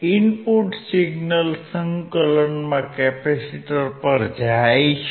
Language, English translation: Gujarati, The input signal goes to the capacitor in integrator